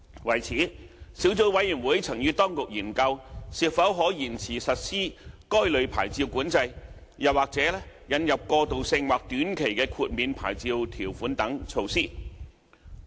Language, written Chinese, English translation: Cantonese, 為此，小組委員會曾與當局研究是否可延遲實施該類牌照管制，又或引入過渡性或短期豁免牌照條款等措施。, To this end the Subcommittee studied with the Administration the feasibility of deferring the implementation of the licencing control or introducing transitional or short - term exemption